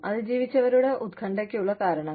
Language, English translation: Malayalam, Reasons for survivor anxiety